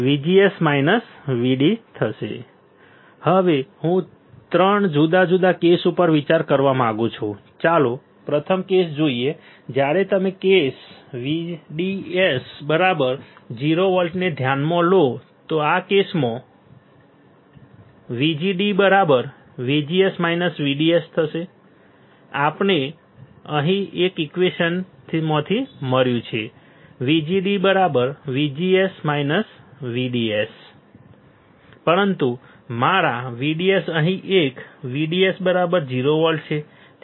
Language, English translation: Gujarati, Now, I want consider 3 different cases, let us see the first case first case when you consider case one VDS equals to 0 volts, VDS equals to 0 volts in this case my VGD is VGS minus VDS we have found here from equation one that VG VGD is nothing, but VGS minus VDS right, but my VDS here is what case one VDS is 0 volt VDS is 0 volt